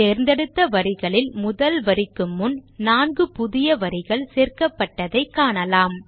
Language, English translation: Tamil, Notice that 4 new rows are added above the first of the selected rows